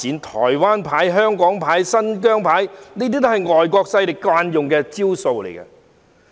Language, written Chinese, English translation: Cantonese, "台灣牌"、"香港牌"、"新疆牌"也是外國勢力慣用的招數。, The Taiwan card Hong Kong card and Xinjiang card are all the usual tactics played by foreign forces